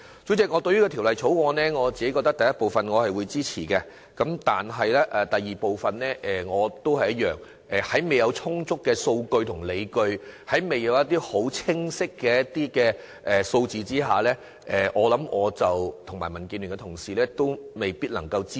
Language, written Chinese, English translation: Cantonese, 主席，我支持《條例草案》第一組的修正案，但未看到第二組的修正案有充足理據及清晰數字之前，我與民建聯的同事未必能夠支持。, Chairman I support the first group of amendments to the Bill but if there are not sufficient justification and clear data to support the second group of amendment I am afraid members of the Democratic Alliance for the Betterment and Progress of Hong Kong and I may not support them